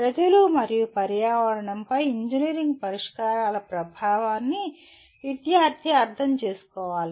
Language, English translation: Telugu, And student should understand the impact of engineering solutions on people and environment